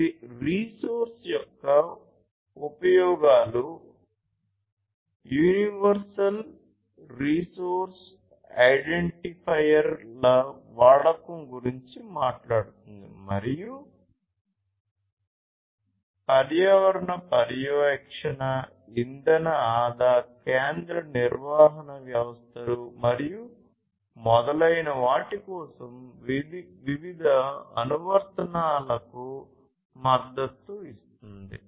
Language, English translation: Telugu, It talks about the use of resource universal resource identifiers and supports different applications for environmental monitoring, energy saving, central management systems, and so on